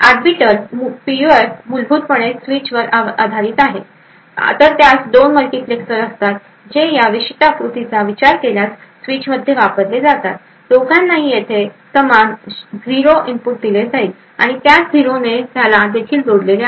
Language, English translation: Marathi, So an Arbiter PUF fundamentally is based on a switch, so it has 2 multiplexers which is used in the switch if you consider this particular figure, both are given the same input that is 0 over here and the same 0 is connected to this as well